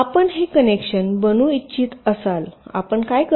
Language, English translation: Marathi, so if you want to make this connection, what to do